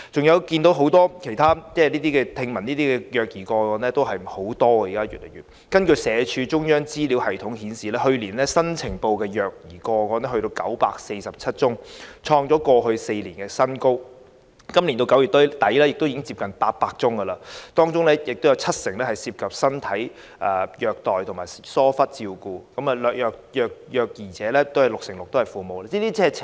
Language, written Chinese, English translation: Cantonese, 現時聽聞的虐兒個案有很多，社會福利署中央資料系統顯示，去年新呈報的虐兒個案高達947宗，創過去4年新高，截至今年9月底亦已有接近800宗，當中七成涉及身體虐待及疏忽照顧，而六成六的虐兒者是父母。, At present we can hear many child abuse cases . According to the central information system of the Social Welfare Department the number of newly reported child abuse cases last year reached 947 cases hitting a record high over the past four years . As at the end of September this year there were already nearly 800 cases 70 % of them involved physical abuse and negligence while 66 % of them involved parents as the abusers